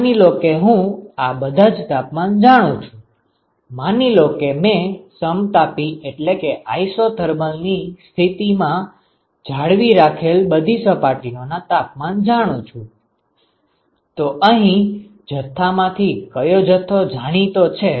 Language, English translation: Gujarati, Suppose I know all the temperatures, suppose I know the temperature of all the surfaces I maintain under isothermal conditions so which quantity is a known quantity here